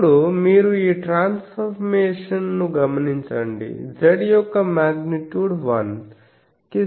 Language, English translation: Telugu, So, now he said since you see this transformation this Z is this so, Z magnitude of Z is equal to 1